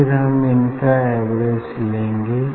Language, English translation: Hindi, And then I will take the average of this